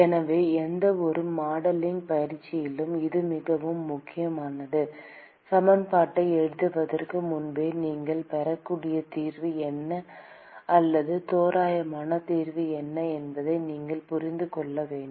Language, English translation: Tamil, So, this is very important in any modeling exercise you should be able to intuit what should be the solution or what will be the approximate solution that you would get even before writing the equation, solving them